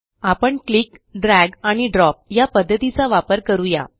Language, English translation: Marathi, We will use the click, drag and drop method